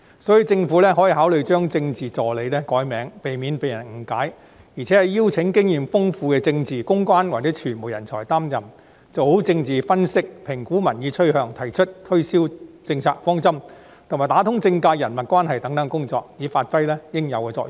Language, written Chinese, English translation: Cantonese, 所以，政府可考慮把政治助理易名，避免誤解，並邀請經驗豐富的政治、公關或傳媒人才擔任，做好政治分析、評估民意趨向、提出推銷政策方針，以及打通政界人脈關係等工作，以發揮應有作用。, This shows that the Government attaches no importance to political public relations . For these reasons the Government may consider the idea of renaming Political Assistant as a means to avoid misunderstanding and inviting political public relations or media talents with substantial experience to fill this post so as to fulfil its due functions of conducting proper political analyses evaluating public opinion trends putting forth a direction for policy promotion networking in the political sector and so on